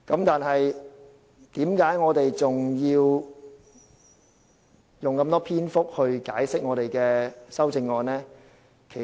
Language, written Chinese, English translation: Cantonese, 但是，為何我們還要用這麼多篇幅解釋我們的修正案呢？, But why do we still have to explain our amendments at great length?